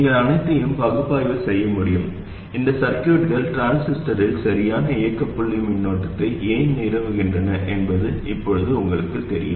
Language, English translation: Tamil, You should be able to analyze all of them because now you know exactly why these circuits establish the correct operating point current in the transistor